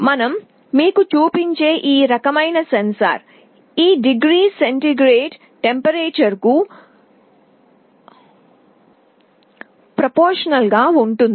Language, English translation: Telugu, The kind of sensor that we shall be showing you, it will be proportional to the degree centigrade the temperature